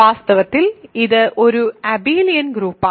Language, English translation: Malayalam, In fact, it is an abelian group